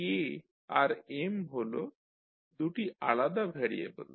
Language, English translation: Bengali, K and M are two different variables